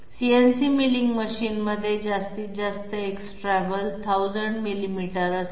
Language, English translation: Marathi, A CNC milling machine is having maximum X travel to be 100 millimeters